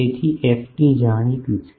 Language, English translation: Gujarati, So, ft is known